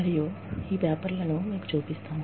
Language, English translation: Telugu, And, let me show you, these papers